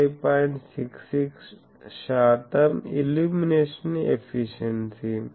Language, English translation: Telugu, 66 percent, illumination efficiency ok